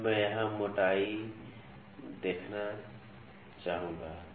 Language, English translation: Hindi, Now, I would like to see the thickness here